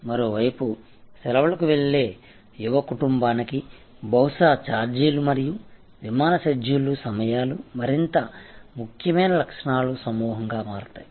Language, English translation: Telugu, On the other hand for a young family going on holiday perhaps fare and the flight schedules will be the timings will become more important set of attributes